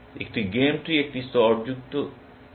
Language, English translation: Bengali, A game tree is a layered tree